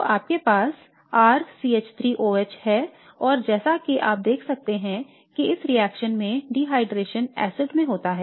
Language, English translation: Hindi, So you have R CH3 OH and as you can see reaction dehydration would be conducted an acid